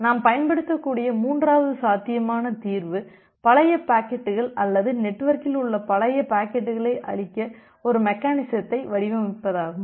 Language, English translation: Tamil, So, the third possible solution that we can utilize is to design a mechanism to kill off the aged packets or the old packets in the network